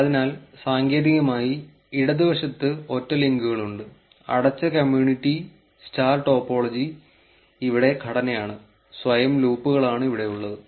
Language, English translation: Malayalam, So, that is the technically, there are single links on the left one, closed community star topology is the structure here and self loops are the ones here